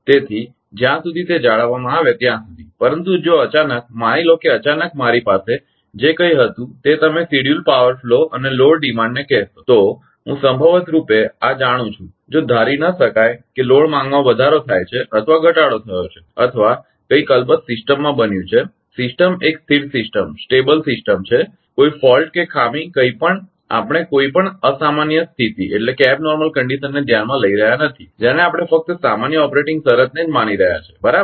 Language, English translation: Gujarati, So, as long as it is maintained, but all of a sudden if suppose suddenly whatever I had that what you call ah that scheduled power flow and load demand I know this one by chance if it is not suppose load demand has increase or decrease or something has happened in the system of the system is a stable system no fault nothing we are not considering any abnormal condition we are considering only normal operating condition right